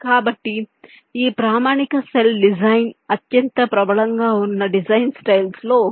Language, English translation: Telugu, so this standard cell design is one of the most prevalent design style